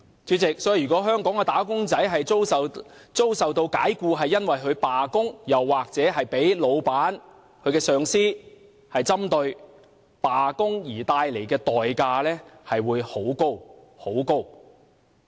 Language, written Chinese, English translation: Cantonese, 主席，如果香港的"打工仔"因罷工而遭解僱，又或被老闆或上司針對，罷工的代價便很高。, President if Hong Kong wage earners should be dismissed or picked on by their bosses or supervisors for striking the price they have to pay for striking is very high